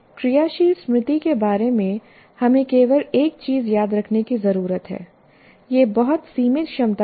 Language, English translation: Hindi, See, the only thing that we need to remember about working memory, it is a very limited capacity